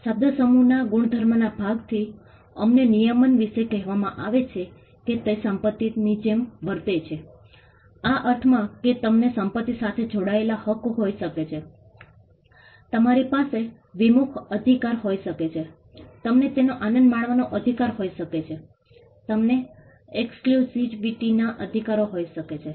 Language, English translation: Gujarati, The property part of the phrase tells us about regulation that it is treated like property in the sense that you can have rights associated with property, you can have rights to alienated, you can have rights to enjoy it, you can have rights to exclusivity over it